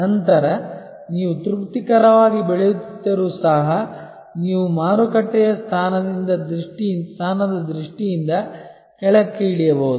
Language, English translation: Kannada, Then, even if you are growing satisfactorily you maybe sliding down in terms of the market position